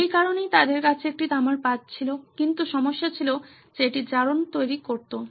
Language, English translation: Bengali, So that is why they had a copper sheet but problem was that it led to corrosion